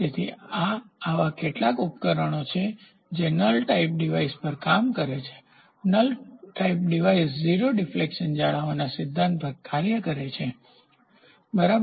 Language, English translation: Gujarati, So, these are some of the devices which work on null type device null type device works on the principle of maintaining 0 deflection, ok